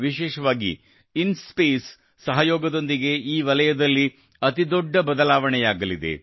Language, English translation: Kannada, In particular, the collaboration of INSPACe is going to make a big difference in this area